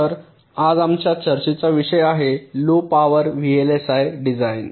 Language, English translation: Marathi, ok, so that is the topic of our discussion today: low power, vlsi design